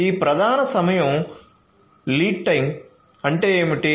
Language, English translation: Telugu, So, what is this lead time